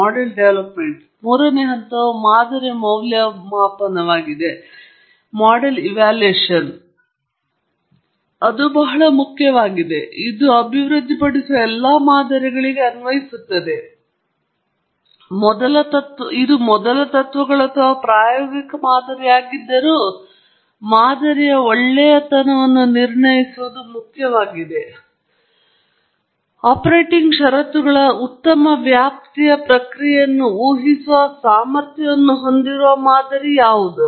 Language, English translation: Kannada, And the third stage is model assessment; that’s very important and that applies to all models that we develop, whether it’s a first principles or an empirical model, it’s important to assess the goodness of the model; is the model capable of predicting the process over a good range of operating conditions